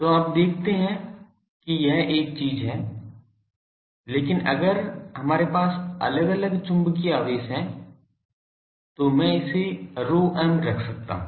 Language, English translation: Hindi, So, you see that there is a thing, but if we have separate magnetic charges I can put this to be rho m